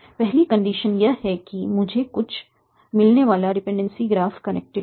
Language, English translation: Hindi, So, the first condition is that the dependency graph that I get is connected